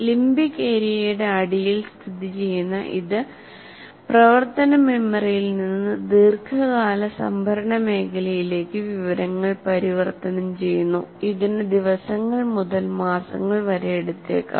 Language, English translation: Malayalam, Located at the base of the limbic area, it converts information from working memory to the long term storage region which may take days to months